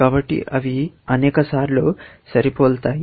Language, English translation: Telugu, So, they are matched multiple number of times